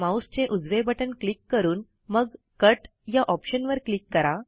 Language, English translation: Marathi, Right click on the mouse and then click on the Cut option